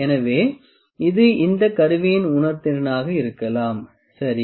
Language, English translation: Tamil, So, this can be the kind of sensitivity of this instrument, ok